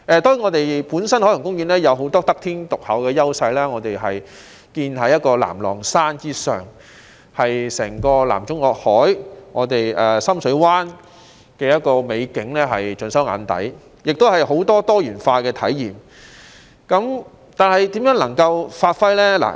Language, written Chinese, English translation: Cantonese, 當然，海洋公園本身有很多得天獨厚的優勢，它建於南朗山之上，將整個南中國海、深水灣的美景盡收眼底，亦提供許多多元化的體驗，但可以怎樣發揮呢？, Certainly Ocean Park itself is endowed with many unique advantages . It was built on Nam Long Shan offering a panoramic view of the entire South China Sea and Deep Water Bay . It also provides diversified experiences